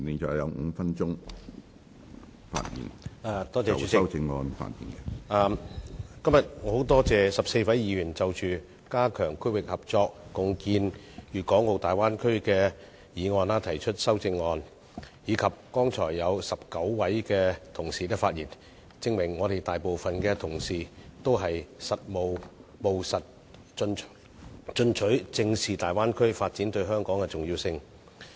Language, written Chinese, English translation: Cantonese, 主席，今天我十分感謝14位議員就着"加強區域合作，共建粵港澳大灣區"的議案提出修正案，以及剛才有19位議員發言，證明大部分同事均務實進取，正視粵港澳大灣區發展對香港的重要性。, President I am very grateful to 14 Members for moving amendments to the motion on Strengthening regional collaboration and jointly building the Guangdong - Hong Kong - Macao Bay Area . I also thank 19 Members for speaking on the motion . Their active participation in the debate shows that most Members are pragmatic and understand the importance of the Guangdong - Hong Kong - Macao Bay Area development to Hong Kong